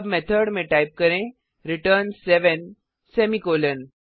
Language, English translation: Hindi, Now inside the method type return seven, semicolon